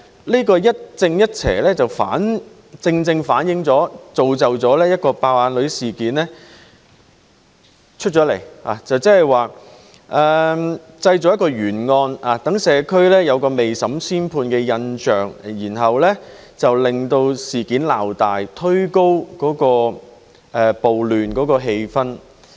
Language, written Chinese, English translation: Cantonese, 這個一正一邪正正造成"爆眼女"事件，製造了一件懸案，讓社會有未審先判的印象，令事件鬧大，推高暴亂的氣焰。, It is an unresolved case . The case gave people an impression of her injury before the investigation actually took place . The incident was blown up out of proportion and in turn instigated the riots